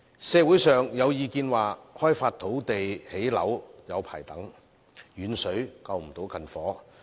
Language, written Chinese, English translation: Cantonese, 社會上有意見指，開發土地興建樓宇需時長，"遠水救不了近火"。, There are views in society that the development of land for housing construction takes a long time and distant water cannot put out a nearby fire